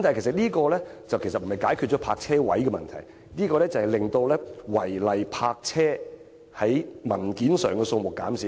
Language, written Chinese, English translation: Cantonese, 這其實不能解決泊車位的問題，只會在文件上，令違例泊車的數目減少而已。, But this proposal just cannot resolve the problem of the inadequate supply of parking spaces . It is rather a solution on paper to help reduce the cases of illegal parking